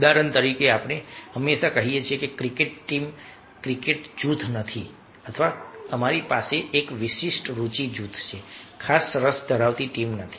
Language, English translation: Gujarati, for example, we always say that a cricket team, not a cricket group, or we have a special interest group, not a special interest team